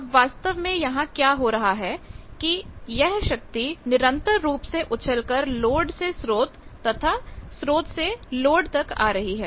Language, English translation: Hindi, Now, actually what happens power is continuously bounces to and flow from load to source